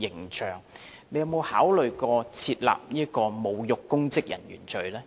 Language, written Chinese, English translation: Cantonese, 局長有否考慮訂立侮辱公職人員罪呢？, Has the Secretary considered introducing the offence of insulting public officers?